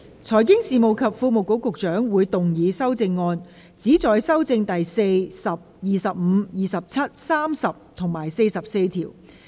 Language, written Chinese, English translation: Cantonese, 財經事務及庫務局局長會動議修正案，旨在修正第4、10、25、27、30及44條。, The Secretary for Financial Services and the Treasury will move amendments which seek to amend clauses 4 10 25 27 30 and 44